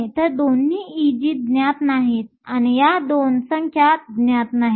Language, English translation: Marathi, So, both E g is not known, and these 2 numbers are not known